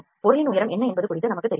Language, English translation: Tamil, We are not sure about what is the height of the object we cannot have this height